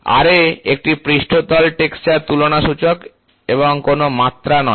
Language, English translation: Bengali, Ra is an index of surface texture comparison and not the dimensions